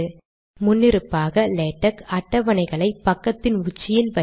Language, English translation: Tamil, By default, Latex places tables at the top of the page